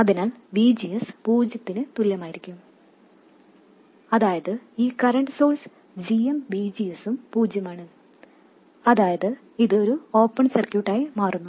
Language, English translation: Malayalam, So VGS will be equal to zero, which means that this current source GM VGS is also zero, meaning it becomes an open circuit